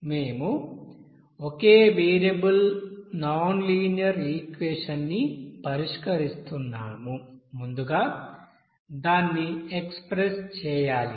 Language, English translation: Telugu, So here solving a single variable nonlinear equation how to solve first we have to express